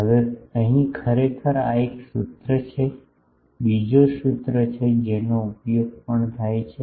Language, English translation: Gujarati, Now, here actually this is one formula, another formula is there which also is used